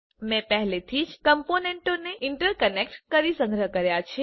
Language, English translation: Gujarati, I have already interconnected the components and saved it